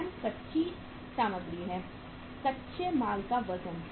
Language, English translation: Hindi, Wrm is the raw material, weight of the raw material